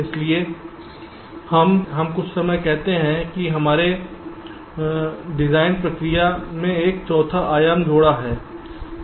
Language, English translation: Hindi, so we sometime say that we have added a fourth dimension to the design process